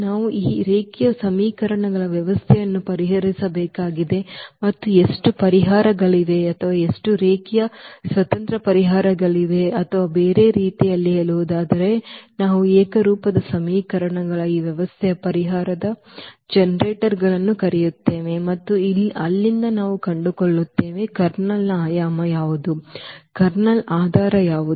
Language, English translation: Kannada, We need to solve this system of linear equations and we will find out how many solutions are there or how many linearly independent solutions are there or in other words we call the generators of the solution of this system of homogeneous equations and from there we will find out what is the what is the dimension of the Kernel, what is the what are the basis of the Kernel